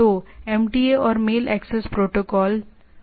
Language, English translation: Hindi, So, MTA and mail access protocol, right